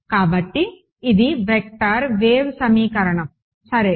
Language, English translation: Telugu, So, this is the vector wave equation ok